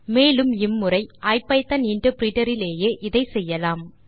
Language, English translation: Tamil, And this time let us do it right in the IPython interpreter